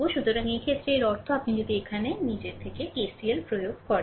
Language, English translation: Bengali, So, in this case; that means, if you apply if you apply your KCL here